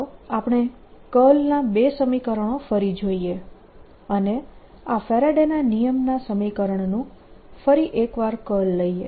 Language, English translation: Gujarati, let us look at the two curl equations and take the curl of this equation, the faradays law equation